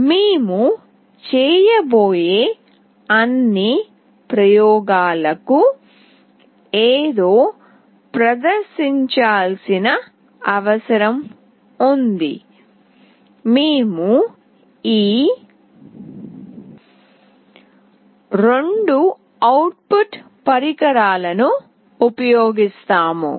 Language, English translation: Telugu, For all the experiments that we will be doing we would require something to be displayed; we will be using these two output devices